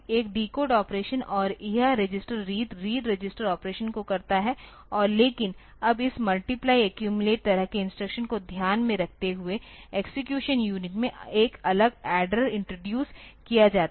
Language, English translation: Hindi, A decode operation and this register read will perform the register at the reading the register operation and, but now a separate adder is introduced in the execution unit to take care of this multiply accumulate type of instructions